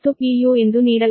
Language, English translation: Kannada, u is given right